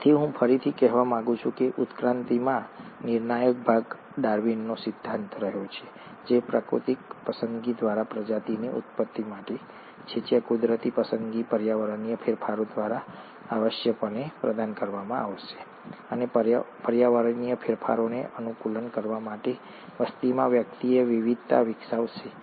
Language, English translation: Gujarati, So, I would like to again say, that the crucial part in evolution has been the theory of Darwin, which is the ‘Origin of Species by means of Natural Selection’, where the natural selection is essentially provided by the environmental changes; and in order to adapt to the environmental changes, individuals in a population will develop variations